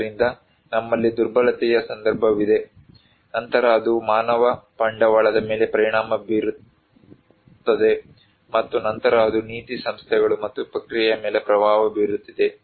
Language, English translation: Kannada, So, we have vulnerability context, then it is impacting human capital vice versa, and then it is influencing the policy institutions and process